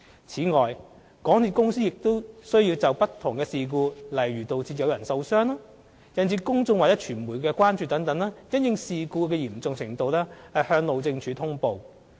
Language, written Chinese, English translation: Cantonese, 此外，港鐵公司亦須就不同事故，例如導致有人受傷、引致公眾或傳媒關注等，因應事故嚴重程度向路政署通報。, Moreover MTRCL should also report various incidents to the Highways Department according to their severity such as injuries of personnel and incidents which may cause public or media concerns